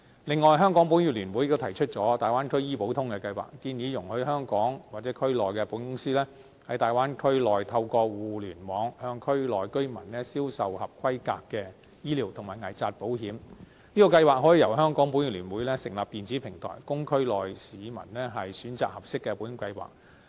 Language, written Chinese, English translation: Cantonese, 此外，香港保險業聯會亦提議推出"大灣區醫保通"計劃，建議容許香港或區內的保險公司，在大灣區內透過互聯網向區內居民銷售合規格的醫療及危疾保險，這項計劃可以由香港保險業聯會成立電子平台，供區內市民選擇合適的保險計劃。, Furthermore the Hong Kong Federation of Insurers also proposes a scheme called Bay Area Medical Insurance under which insurance companies in Hong Kong or the Bay Area are permitted to use the Internet as a channel of selling approved medical and critical illness insurance products to resident in the area . The Hong Kong Federation of Insurers can set up a platform for the scheme so that residents in the area can choose insurance products suitable for them